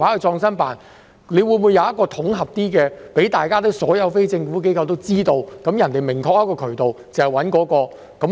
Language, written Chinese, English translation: Cantonese, 是否有統合的做法，讓所有非政府機構都知道有一個明確的渠道，知道要找誰？, Is there a coordinated approach to inform all NGOs of the specific channel and who to approach?